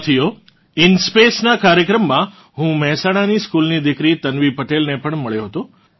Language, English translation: Gujarati, Friends, in the program of InSpace, I also met beti Tanvi Patel, a school student of Mehsana